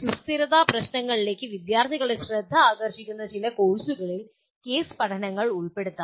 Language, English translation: Malayalam, Case studies can be incorporated in some courses that will bring the attention of the students to sustainability issues